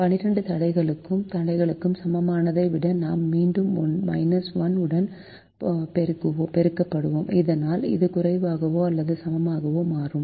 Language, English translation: Tamil, the greater than equal to twelve constraint, we will again multiply with the minus one so that it becomes less or equal to